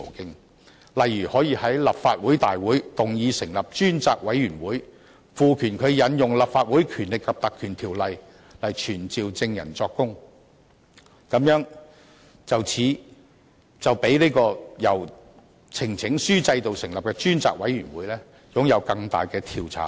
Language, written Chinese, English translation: Cantonese, 舉例而言，可以在立法會會議動議成立專責委員會，賦權它引用《立法會條例》來傳召證人作供，這樣比由呈請書制度成立的專責委員會擁有更大的調查權。, For instance a Member can at a Council meeting move that a select committee be established and empowered to invoke the Legislative Council Ordinance to summon witnesses to testify; such a select committee would have greater investigative power than one established under the petition system